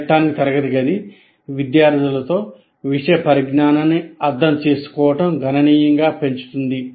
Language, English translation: Telugu, Electronic classroom can significantly enhance the engagement of the students with the material